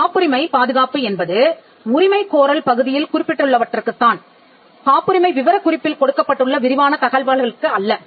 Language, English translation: Tamil, The protection in a patent is confined to what is mentioned in the claims and not what is mentioned in the descriptive part of the pattern specifications